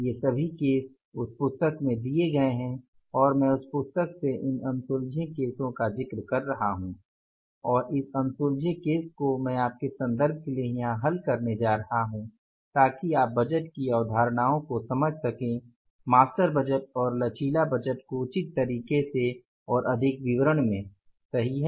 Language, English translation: Hindi, All these cases are given in that book and I am referring from that book these unsolved cases I am say going to solve here for your reference so that you can understand the concepts of budgeting that is the master budget and the flexible budget in the proper manner and in the greater detail